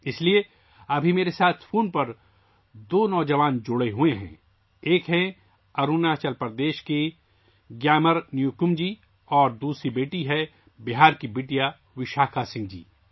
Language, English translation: Urdu, That's why two young people are connected with me on the phone right now one is GyamarNyokum ji from Arunachal Pradesh and the other is daughter Vishakha Singh ji from Bihar